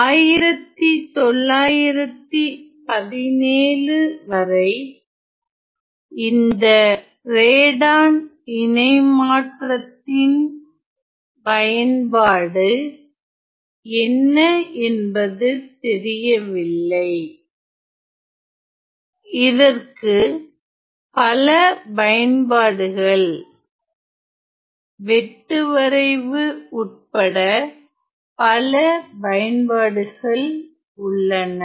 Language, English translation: Tamil, Now it was not known what is the use of this Radon transform until another well from 1917 there was lots of you know little applications including applications in tomography